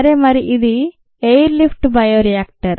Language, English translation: Telugu, so this is an air lift bioreactor